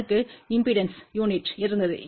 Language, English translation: Tamil, It had a unit of impedance